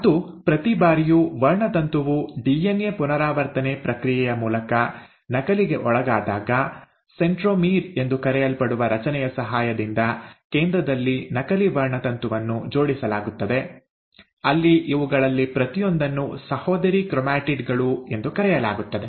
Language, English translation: Kannada, And every time a chromosome undergoes duplication through the process of DNA replication, the duplicated chromosome is attached at the center with the help of a structure called as ‘centromere’, where each of these then called as ‘sister chromatids’